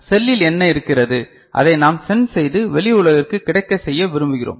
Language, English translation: Tamil, So, what is there in the cell, that we would like to sense and make it available to the outside world